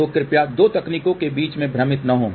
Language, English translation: Hindi, So, please do not get confused between the two techniques